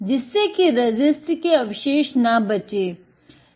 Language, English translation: Hindi, So, there is no resist residues left